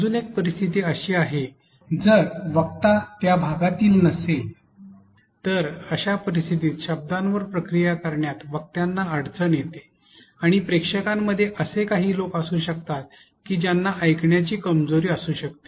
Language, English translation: Marathi, Yet another scenario could be audience who are non native speaker and find difficulty in processing the spoken words and also there could be people in the audience who may have hearing impairment